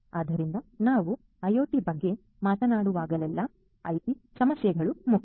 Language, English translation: Kannada, So, whenever you are talking about IoT, then IT issues are important